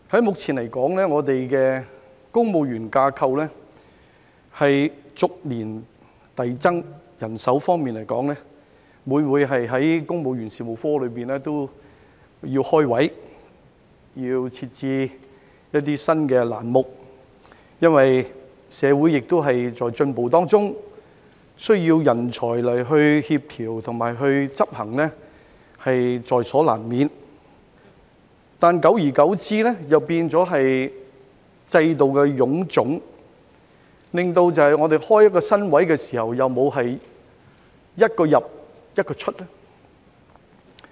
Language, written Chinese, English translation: Cantonese, 目前來說，我們的公務員架構逐年遞增，人手方面每每要公務員事務局開設職位、設置新欄目，因為社會亦在進步當中，需要人才來協調和執行政策，在所難免，但久而久之又變成制度的臃腫，令我們開設一個新職位時沒有"一個入，一個出"。, At present our civil service establishment is expanding year by year . As for staffing the Civil Service Bureau often needs to create posts and add new job postings because as society is also progressing there is inevitably a need for talents to coordinate and execute policies . However over time the system has become so bloated that the creation of a new post does not bring about the elimination of an old one